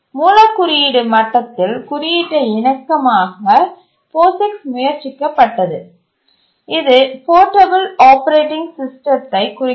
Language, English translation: Tamil, To make the code compatible at the source code level, the POGIX was attempted stands for portable operating system